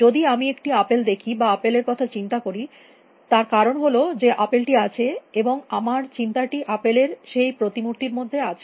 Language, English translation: Bengali, If I see an apple or if I think of an apple, it is because there is an apple out there and my thought is in the image of that apple that is out there